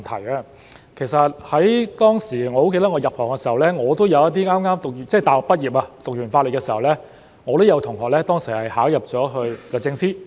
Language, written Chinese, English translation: Cantonese, 記得我當年入行時，有一些剛大學畢業......修畢法律課程後，我也有同學考入了律政司。, I remember when I entered the profession there were some people who had just graduated from university After completing the law programme a classmate of mine got admitted and entered the Department of Justice DoJ